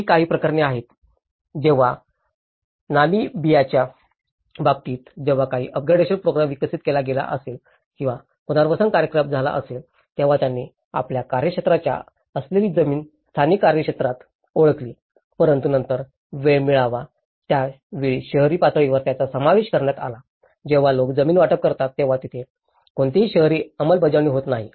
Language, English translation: Marathi, There is also other cases when in cases of Namibia, when certain up gradation program have been developed or the relocation program have done, they identified the land which was not part of the you know, in the local jurisdiction but then, the time it came into it has been included in the urban level, by the time people because there is no urban enforcement when they have been allocated a land